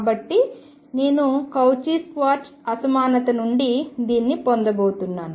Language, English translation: Telugu, So, I am going to have from Cauchy Schwartz inequality